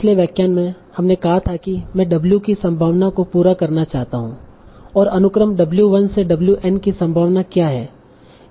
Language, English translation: Hindi, In the previous lecture we said I want to complete probability of W that is what is the probability of the sequence, W1 to WN